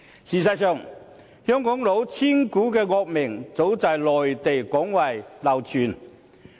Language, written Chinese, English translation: Cantonese, 事實上，香港"老千股"的惡名，早在內地廣為流傳。, In fact Hong Kongs notorious cheating shares have long since caught widespread attention in Mainland China